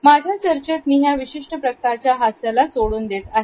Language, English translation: Marathi, In my discussions, I would leave this particular type of a smile